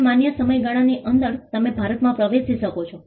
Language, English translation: Gujarati, Now within the time period allowed, you can enter India